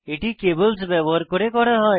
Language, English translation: Bengali, This is done using cables